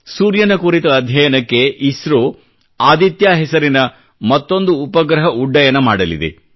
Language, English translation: Kannada, ISRO is planning to launch a satellite called Aditya, to study the sun